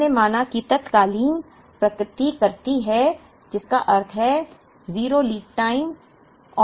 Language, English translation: Hindi, We assumed that there is instantaneous replenishment which means there is 0 lead time